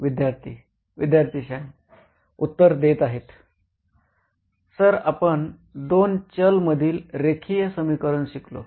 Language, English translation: Marathi, Sir we learned linear equations in two variables